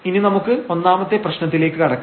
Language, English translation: Malayalam, So, now let us just go through this problem number 1